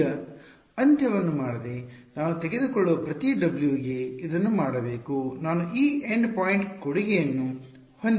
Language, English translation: Kannada, Now without doing this end so, this should be done for every W that I take I will have this end point contribution